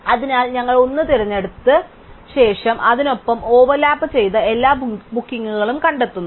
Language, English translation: Malayalam, So, we select 1 and then having selected 1, we find all the bookings which overlap with it